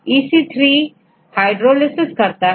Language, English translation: Hindi, this is EC3 is hydrolase; 3